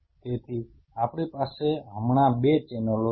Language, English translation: Gujarati, So, we are having 2 channels now right